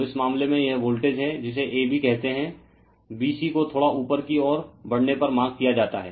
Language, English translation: Hindi, So, in this case it is voltage is what you call a b b c is marked if you move little bit upward , right